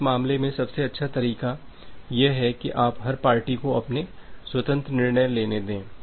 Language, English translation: Hindi, So, in this case the best way you can do is that let every party take their own independent decisions